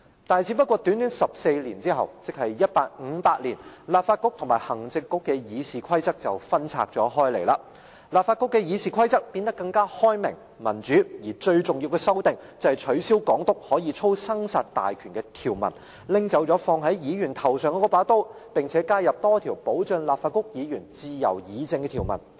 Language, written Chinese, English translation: Cantonese, 但是，只不過短短14年後，即1858年，立法局與行政局的議事規則便分拆了開來，立法局的議事規則變得更開明、民主，而最重要的修訂，便是取消港督可操生殺大權的條文，拿走放在議員頭上的那把刀，並且加入多項保障立法局議員自由議政的條文。, However after a rather short period of 14 years the Legislative Council and the Executive Council were governed by their own RoPs respectively in 1858 . More liberal and democratic elements were introduced in the legislatures RoP . The most remarkable amendment was to restrict the absolute power of the Governor thus removing the Sword of Damocles hanging over Members head